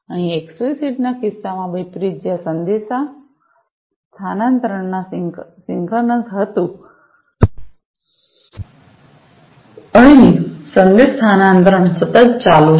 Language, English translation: Gujarati, Here, unlike in the case of the explicit, where the message transfer was a synchronous, here the message transfer is continuous